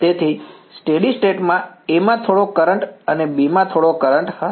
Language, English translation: Gujarati, So, in the steady state there is going to be some current in A and some current in B right